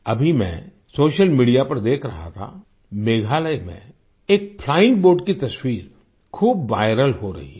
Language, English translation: Hindi, I have been watching on social media the picture of a flying boat in Meghalaya that is becoming viral